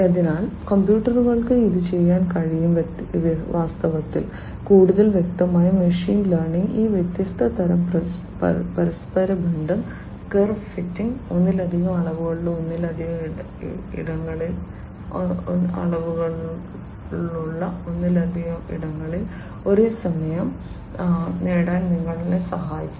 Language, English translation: Malayalam, So, the computers can do it and in fact, more specifically machine learning can help you achieve these different types of correlation, curve fitting etcetera in multiple you know in spaces having multiple dimensions at the same time right